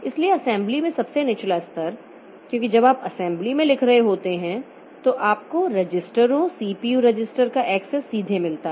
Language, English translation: Hindi, So, the lowest level in assembly because when you are writing in the assembly, so you get the access to the registers, CPU registers directly